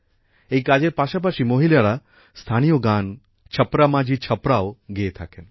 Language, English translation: Bengali, Along with this task, women also sing the local song 'Chhapra Majhi Chhapra'